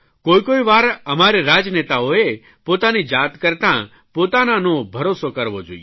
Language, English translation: Gujarati, At times we political leaders should trust our people more than we trust ourselves